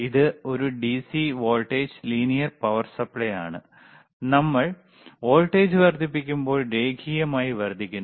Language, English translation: Malayalam, DC iIt is a DC voltage linear power supply, linearly increases when we increase the voltage